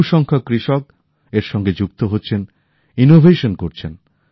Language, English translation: Bengali, Farmers, in large numbers, of farmers are associating with it; innovating